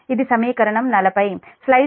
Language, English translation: Telugu, this is equation forty